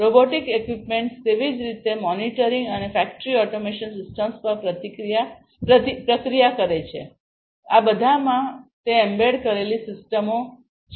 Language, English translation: Gujarati, Robotic equipments likewise process monitoring and factory automation systems, all of these have embedded systems in them